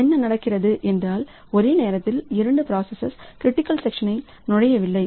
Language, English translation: Tamil, So, what is happening is that simultaneously both the processes are not entering into critical section